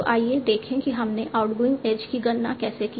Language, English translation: Hindi, How did we compute the outgoing edge